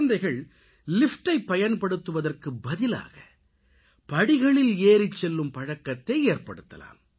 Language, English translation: Tamil, The children can be made to take the stairs instead of taking the lift